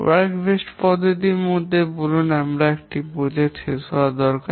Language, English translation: Bengali, In the work based approach, let's say we need to complete a project